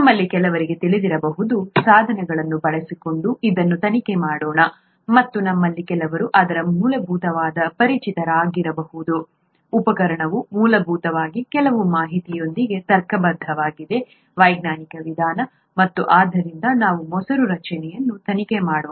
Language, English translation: Kannada, Let us investigate this just by using the tools that some of us might know, and some of us might be familiar with its basic, the tool is basically logic with some information, the scientific method, and so let us investigate curd formation using this method